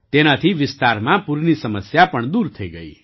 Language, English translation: Gujarati, This also solved the problem of floods in the area